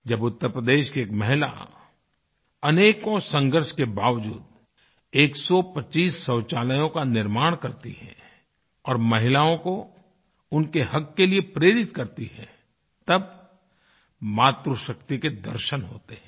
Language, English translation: Hindi, In Uttar Pradesh, when a woman builds 125 toilets after overcoming steep challenges, inspiring women to exercise their due rights, it gives us a glimpse of 'Matri Shakti', the power of maternal love & caring